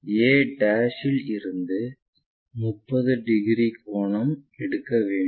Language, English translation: Tamil, We have to take 30 angle from a'